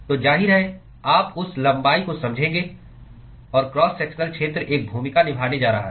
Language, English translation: Hindi, So obviously, you would intuit that length and the cross sectional area is going to play a role